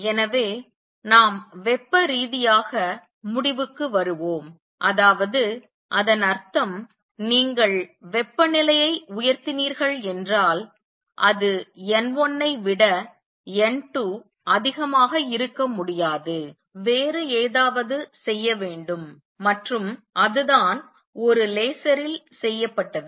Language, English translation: Tamil, So, let us conclude thermally that means, if you raise the temperature right it is not possible to have n 2 greater than n 1, something else as to be done and that is what is done in a laser